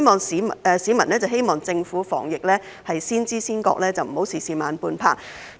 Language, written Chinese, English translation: Cantonese, 市民希望政府在防疫方面先知先覺，不要事事慢半拍。, The public hope that the Government could have the foresight and will not be slow in preventing the epidemic